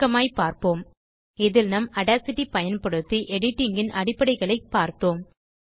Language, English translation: Tamil, In this we learned the basics of editing,using audacity structure and edit